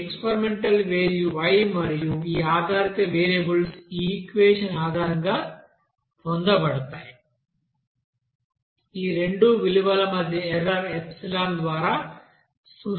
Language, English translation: Telugu, So this experimental value is capital Y and this y dependent variables will be obtained based on that equation Now error between these two you know values is representing by you know epsilon